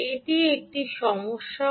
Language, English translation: Bengali, ok, so that is a problem